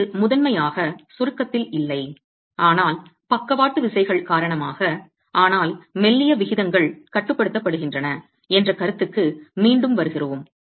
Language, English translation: Tamil, That's not primarily in compression but because of the lateral forces but we come back to the concept of slendonous ratios being controlled